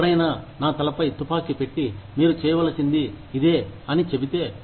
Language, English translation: Telugu, If somebody puts a gun to my head, and says, that this is what, you need to do